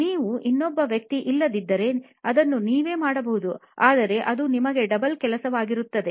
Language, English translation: Kannada, If you do not have another person you can do it yourself but it will be double work for you